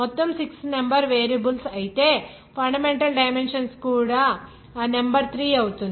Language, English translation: Telugu, Total 6 numbers of variables whereas fundamental dimensions number of fundamental dimensions is 3